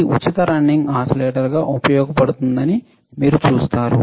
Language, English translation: Telugu, You as you see that it is used as free running oscillators